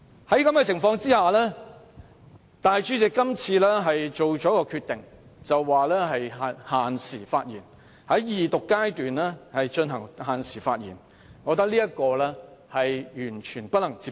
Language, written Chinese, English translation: Cantonese, 在這種情況下，立法會主席今次作出決定，限制議員在二讀辯論的發言時間，我認為完全不能接受。, Under such circumstances the decision made by the President of the Legislative Council this time around on setting a limit for the speaking time of a Member at the Second Reading debate is I believe totally unacceptable